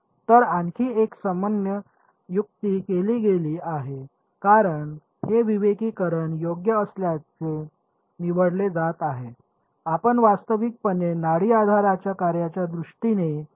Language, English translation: Marathi, So, another common trick that is done is because this discretization is going to be chosen to be fine you can in fact, substitute p q and f in terms of a pulse basis function